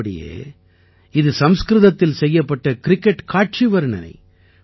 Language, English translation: Tamil, Actually, this is a cricket commentary being done in Sanskrit